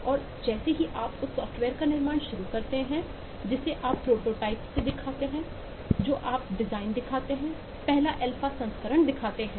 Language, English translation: Hindi, and as you start building the software, you show the prototype, you show the design, you show the first alpha version